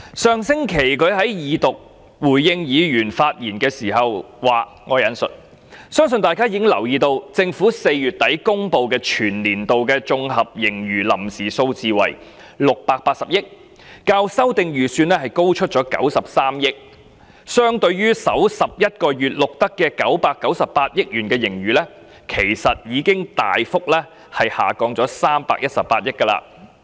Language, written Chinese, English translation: Cantonese, 上星期，他在恢復二讀辯論發言回應議員時指出，"相信大家已留意到，政府在4月底公布全年度的綜合盈餘臨時數字為680億元，較修訂預算案高出93億元......相對於首11個月錄得的998億元盈餘，其實已大幅下降318億元。, When he spoke in reply to Members views during the resumption of Second Reading debate last week he asserted I quote I believe Honourable Members have probably noticed that the provisional consolidated surplus of 68 billion for the whole financial year as announced by the Government at the end of April is 9.3 billion more than the revised estimate When viewed against the surplus of 99.8 billion recorded in the first 11 months the former figure has actually dropped drastically by 31.8 billion